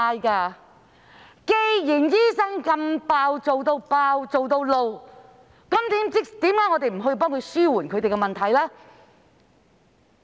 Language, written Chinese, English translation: Cantonese, 既然醫生"做到爆"，"做到發怒"，為何我們不幫助他們紓緩問題？, Given such Burnout and Anger on the part of doctors why do we not help them to alleviate their problems?